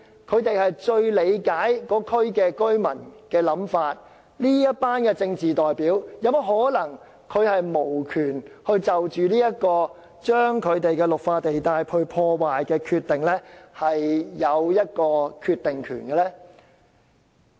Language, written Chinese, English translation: Cantonese, 他們是最理解區內居民的想法，但為甚麼這群政治代表未能就着破壞區內綠化地帶的政策，有一個決定權？, But why these political representatives are deprive of the right to decide on policies which may destroy the Green Belt zones in their districts?